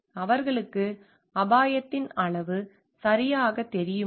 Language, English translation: Tamil, So, do they know the amount of risk properly